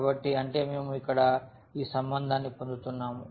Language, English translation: Telugu, So, that means, we are getting this relation here